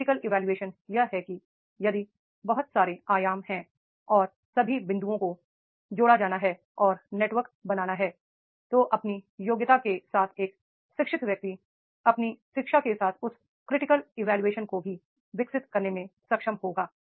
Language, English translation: Hindi, The complex synthesis is that that is the if there are so many dimensions are there and all the points are to be connected and network is to be created and then an educated person will be with his competency with his education will be able to develop that complex synthesis also